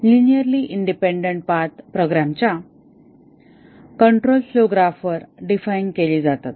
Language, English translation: Marathi, The linearly independent paths are defined on a control flow graph of a program